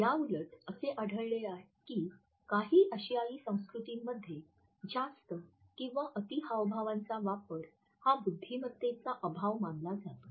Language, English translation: Marathi, In contrast we find that in some Asian cultures and extensive use of illustrators is often interpreted as a lack of intelligence